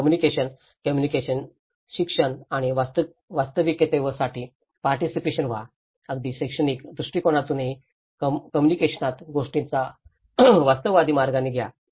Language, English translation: Marathi, Then the communication, communicate, educate and participate for the real so, even in the education perspective, in the communication, take things in a realistic way